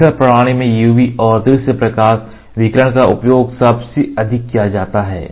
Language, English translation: Hindi, In SL system UV and visible light radiations are used most commonly UV and visible light radiation